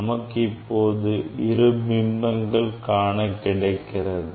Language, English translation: Tamil, We can see that there are two image